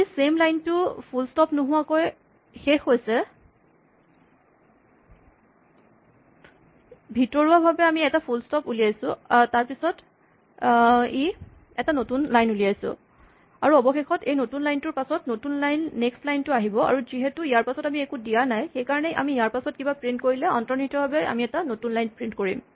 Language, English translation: Assamese, Implicitly, although the word same line ends without a full stop, we produce a full stop and after we produce a full stop, it produces a new line and finally, after this new line, the next line comes in the new line and of course, because here we did not say anything; if we print after that, we implicitly would print on a new line